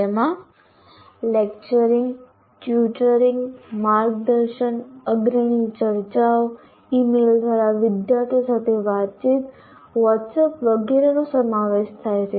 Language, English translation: Gujarati, These include lecturing, tutoring, mentoring, leading discussions, communicating with students by email, WhatsApp, etc